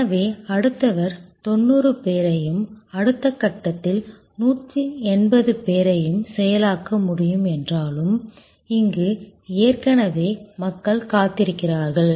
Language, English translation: Tamil, And therefore, the next one even though 90 people can be processed and in the next step 180 people can be processed, there are already people waiting here